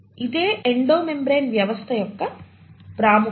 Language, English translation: Telugu, So that is the importance of the Endo membrane system